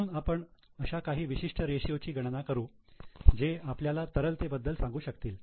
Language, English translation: Marathi, So, we will calculate certain ratios wherein we can comment on liquidity